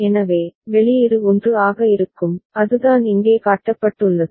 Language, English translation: Tamil, So, the output will be 1 that is what has been shown here